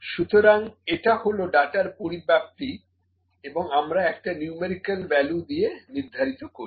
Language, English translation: Bengali, So, it is the spread of data and we assign a numerical value here, ok